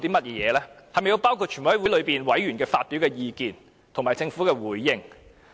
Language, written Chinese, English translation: Cantonese, 是否須包括全委會委員發表的意見，以及政府的回應？, Does it include views expressed by members of the committee of the whole Council and the government responses?